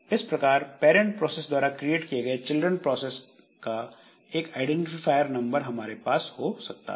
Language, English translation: Hindi, So, this way we can have a number of, a number of children created from a parent process